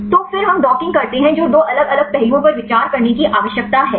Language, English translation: Hindi, So, then we do the docking what are two different aspects you need to consider